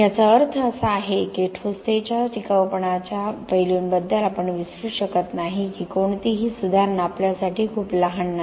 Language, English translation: Marathi, This means that we cannot forget about the sustainability aspects of concrete any improvement is not too small for us to do